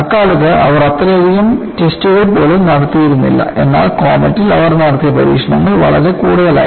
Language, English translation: Malayalam, In those times, they were not doing even that many tests,but the test that they had conducted on comet were quite many